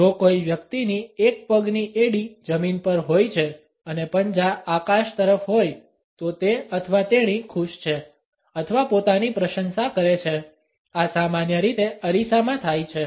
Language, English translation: Gujarati, If a person has the heel of one foot on the ground with the toes pointed to the sky; he or she is happy or admiring themselves; this usually happens in a mirror